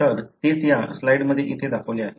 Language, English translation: Marathi, So, that is what is shown in this slide here